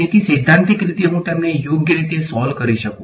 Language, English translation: Gujarati, So, in principle I should be able to solve them right